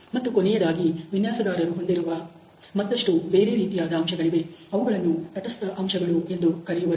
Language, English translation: Kannada, And finally, there are certain other factors which the designer has which are also known as neutral factors